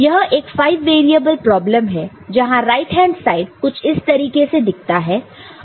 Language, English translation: Hindi, So, this is a five variable problem, where the right hand side looks something like this